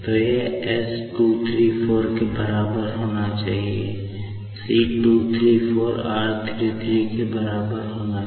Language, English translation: Hindi, So, this has to be equated to s 234 should be equal to this; c 234 should be equal to r 33, ok